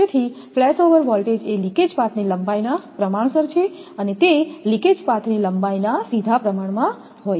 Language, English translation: Gujarati, So, flashover voltage is proportional to the length of the leakage path, it is directly proportional to the length of the leakage path